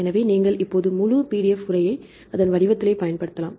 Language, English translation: Tamil, So, you can go the full text right now this the PDF format right